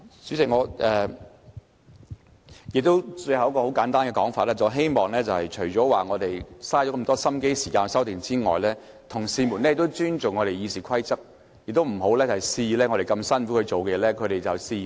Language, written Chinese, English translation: Cantonese, 主席，最後我想簡單說一點，我們花了很多心機和時間提出修訂，同事應尊重《議事規則》，不要肆意破壞我們辛苦做出來的成果。, President finally I would like to make a simple point . As we have put in a lot of energy and time on the amendments Members should respect RoP and refrain from arbitrarily sabotaging the fruits of our hard work